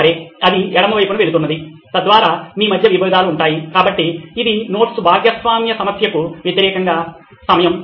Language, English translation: Telugu, Okay, so that goes on the left hand side, so that’s what you are conflict is between, so it is a time versus the number of notes shared problem